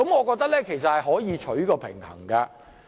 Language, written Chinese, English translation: Cantonese, 我認為可以求取平衡。, I think a balance can be struck